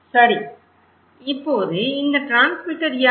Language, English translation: Tamil, Now, who are these transmitter